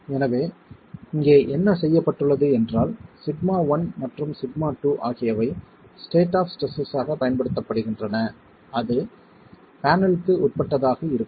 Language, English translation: Tamil, So here what has been done is that sigma 1 and sigma 2 is then used as the state of stress that is going to be what the panel is subjected to